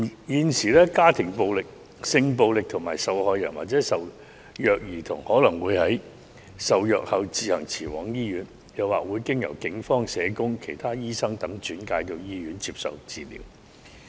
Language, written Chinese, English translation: Cantonese, 現時，家庭暴力、性暴力受害人或受虐兒童可能會在受虐後自行前往醫院，又或經由警方、社工、其他醫生等轉介到醫院接受治療。, At present victims of family violence sexual violence or child abuse may go to hospital by themselves . Various parties such as the Police social workers or other medical practitioners may refer them to the hospital